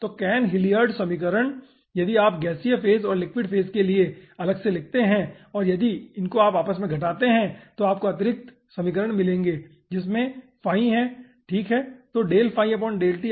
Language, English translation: Hindi, okay, so, cahn hilliard equation, if you write down for gaseous phase and aah, liquid phase separately and if you subtract, then you will be getting additional equation involving phi